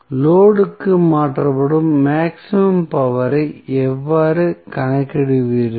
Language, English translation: Tamil, How you will calculate the maximum power which would be transferred to the load